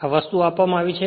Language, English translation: Gujarati, This thing is given right